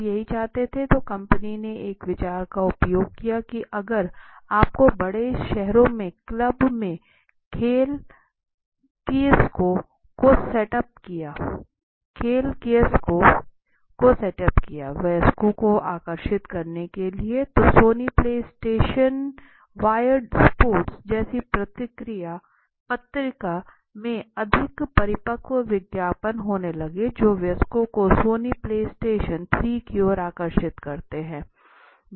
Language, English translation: Hindi, This is what people wanted right so what are the marketing implications out of it so the company is you know setting up this a set up game kiosks in night clubs in large cities to attract adults to play right some of these games okay so this sony play station the target magazines such as wired sports started having more matured adds to attract the adults towards the Sony play station 3